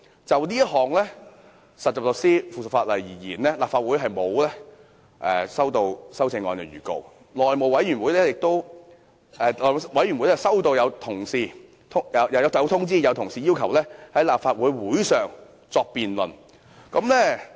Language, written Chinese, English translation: Cantonese, 就這項有關實習律師的附屬法例而言，立法會並沒有接獲提出修正案的要求，但內務委員會曾接獲同事的通知，要求在立法會會上進行辯論。, In respect of this subsidiary legislation on trainee solicitors the Legislative Council did not receive any request for amendment but the House Committee received a notice from Members requesting to hold a debate in the Legislative Council